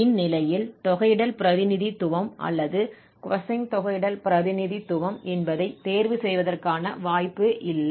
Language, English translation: Tamil, So, in this case, we are not having the possibility of choosing whether sine integral representation or cosine integral representation because the function is defined from 8 to 8